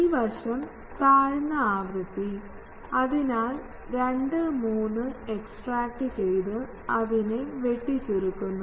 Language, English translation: Malayalam, And this side the lower frequency, so extract 2 3 and truncate it